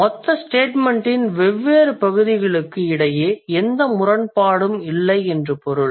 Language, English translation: Tamil, That means there is no contradiction between different parts of the total statement